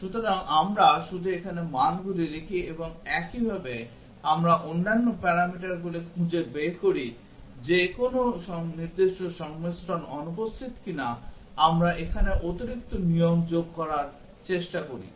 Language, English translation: Bengali, So, we just write down the values here and similarly, we do for the other parameters find out if any specific combinations are missing we try to add additional rules here